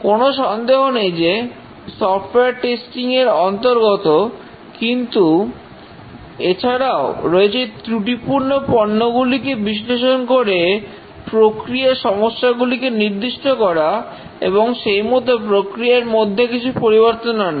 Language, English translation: Bengali, It incorporated software testing, no doubt, but then the defective products were analyzed to identify what was the problem in the process that was resulting in the bad products and modify the process